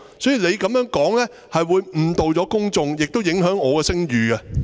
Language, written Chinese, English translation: Cantonese, 所以，你這樣說，會誤導公眾，亦會影響我的聲譽。, Therefore the way you put it will mislead the public and have an impact on my reputation